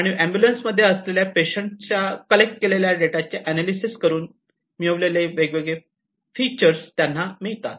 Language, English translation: Marathi, And they can get the different pictures from the analysis of the data from the data that are collected by from the patients that are in the ambulances